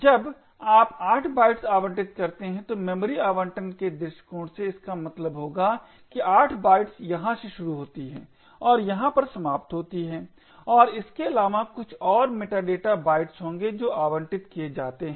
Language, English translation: Hindi, From memory allocation point of view when you allocate 8 bytes it would mean that the 8 bytes starts from here and end over here and besides this there would be some more meta data bytes that gets allocated